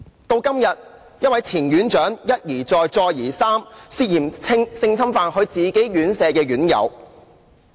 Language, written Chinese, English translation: Cantonese, 到了今天，一位前院長一而再、再而三涉嫌性侵犯其管理院舍的院友。, Today a former superintendent of a care home was again and again involved in sexual assaults against the residents in the care home under his management